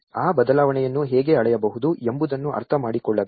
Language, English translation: Kannada, One has to understand that how one can measure that change